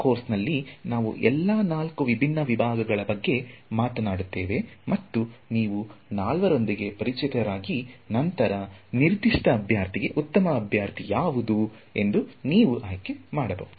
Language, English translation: Kannada, So, we will talk about all four different kinds of methods in this course and after you are familiar with all four, then you can choose for a given problem what is the best candidate